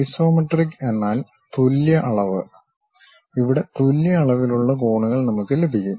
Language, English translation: Malayalam, Isometric means equal measure; here equal measure angles we will have it